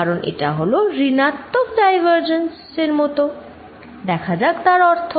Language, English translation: Bengali, Because, that is like negative divergence, let us see make sense